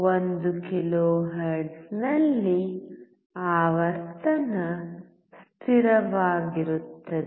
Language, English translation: Kannada, Frequency is constant at 1 kilohertz